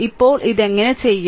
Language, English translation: Malayalam, So, now how will do it